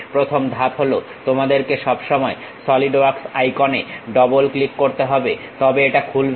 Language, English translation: Bengali, The first step is you always have to double click Solidworks icon, so it opens it